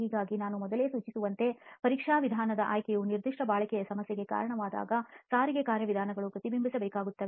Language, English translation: Kannada, So as I had indicated earlier the choice of the test method has to reflect the transport mechanisms that lead to a particular durability problem